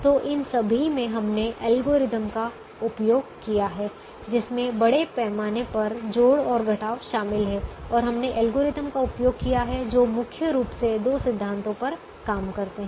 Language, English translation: Hindi, so in all this we have used algorithms which involve largely addition and subtraction, and we have used algorithms which primarily work on two principles